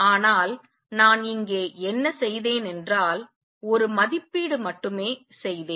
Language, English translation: Tamil, But what I have done here is just made an estimate